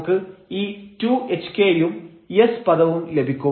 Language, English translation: Malayalam, We get this 2 hk and s term